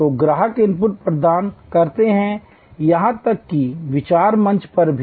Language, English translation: Hindi, So, customers provide input, even at the idea stage